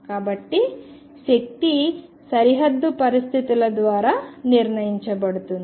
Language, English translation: Telugu, So, the energy is determined by boundary conditions